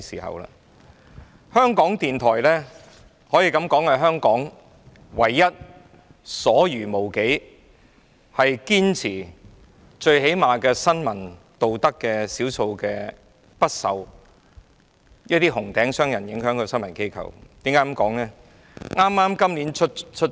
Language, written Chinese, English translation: Cantonese, 香港電台可說是香港所餘無幾、堅持最低限度的新聞道德的少數不受"紅頂"商人影響的新聞機構，為何我這樣說呢？, Radio Television Hong Kong RTHK is one of the few news organizations upholding the most basic press ethics and not being influenced by red tycoons which are rarely seen in Hong Kong nowadays . Why am I saying this?